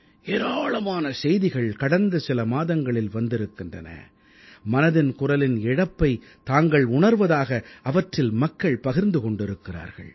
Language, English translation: Tamil, Over the last few months, many messages have poured in, with people stating that they have been missing 'Mann Ki Baat'